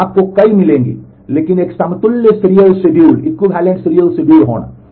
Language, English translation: Hindi, So, you will get a number of, but having one equivalent serial schedule